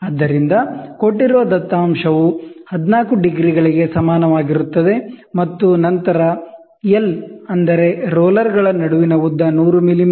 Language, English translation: Kannada, So, given data what is a given data given data is theta equal to 14 degrees, and then L is the length between the rollers is 100 millimeter